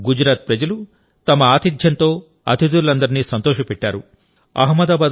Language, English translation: Telugu, But the people of Gujarat made all the guests happy with their hospitality